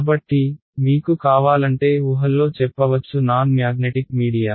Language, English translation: Telugu, So, if you want we can say in assumptions non magnetic media ok